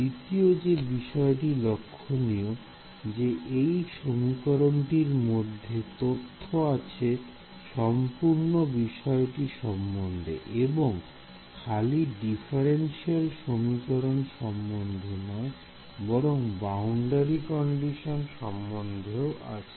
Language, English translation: Bengali, The second thing is notice that this one equation has inbuilt into it information about the entire problem not just the differential equation, but the boundary conditions also how is that